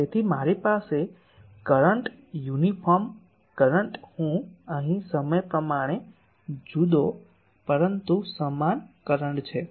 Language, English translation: Gujarati, So, I have a current uniform current I here time varying, but uniform current